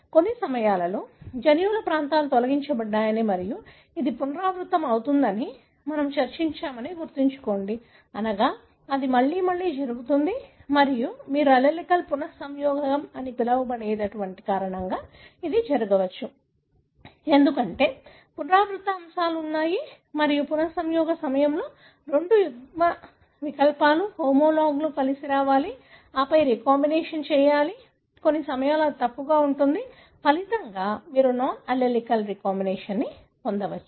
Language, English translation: Telugu, So, remember we discussed that at times regions of the genes gets deleted and it is recurrent, meaning it happens again and again and it could happen because of what you call as non allelic recombination, because there are repeat elements and during recombination, the two alleles, homologues have to come together and then recombination, at times it can, misalign; as a result you could have non allelic recombination